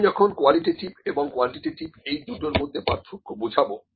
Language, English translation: Bengali, I will just differentiate it qualitative and quantitative, ok